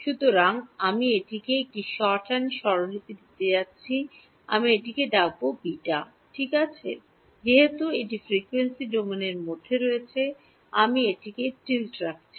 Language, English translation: Bengali, So, I am going to give it a shorthand notation I am going to call it beta ok, since it is in the frequency domain I am putting a tilde on its